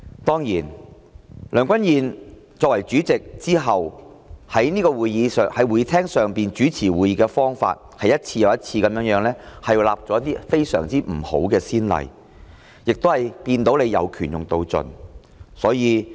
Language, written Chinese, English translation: Cantonese, 當然，梁君彥任主席以來，在會議廳上主持會議的方法，是一次又一次地立下了非常惡劣的先例，亦看到他"有權用到盡"。, Since Mr Andrew LEUNG assumed office as President of course he has set one bad precedent after another in the way he presides over meetings in this Chamber and how he exhausts every power available to him